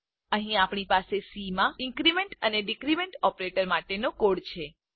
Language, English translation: Gujarati, Here, we have the code for increment and decrement operators in C